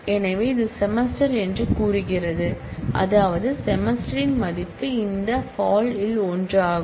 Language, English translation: Tamil, So, it says the semester in so which means the value of the semester is be one of this fall